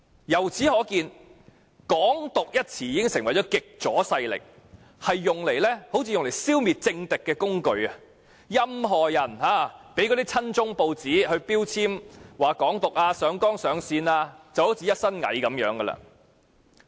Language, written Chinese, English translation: Cantonese, 由此可見，"港獨"一詞已成為極左勢力用作消滅政敵的工具，任何人只要被親中報章說成是"港獨"分子、被上綱上線，便會落得"一身蟻"。, It can thus be seen that the term Hong Kong independence has already become a tool for the extreme leftists to eliminate their political opponents and anyone labelled as an advocate of Hong Kong independence by pro - China newspapers will be criticized fiercely and disproportionately and will then end up in big trouble